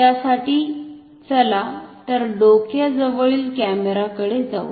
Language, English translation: Marathi, For that, so let us go to the overhead camera